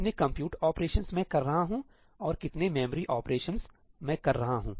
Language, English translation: Hindi, How many compute operations am I doing and how many memory operations am I doing